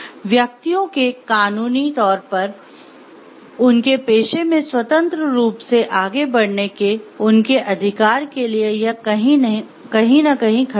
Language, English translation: Hindi, It is somewhere threatening the right, the legal entitlement of the individuals to pursue their carriers freely